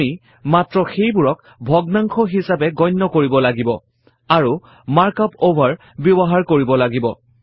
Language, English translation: Assamese, We just have to treat them like a fraction, and use the mark up over